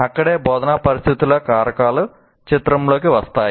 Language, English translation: Telugu, That is where the instructional situational factors will come into picture